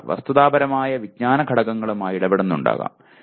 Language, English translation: Malayalam, One may be dealing with just factual knowledge elements